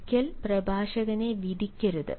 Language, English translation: Malayalam, dont judge the speaker